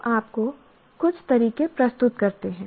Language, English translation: Hindi, Now, let us look at some methods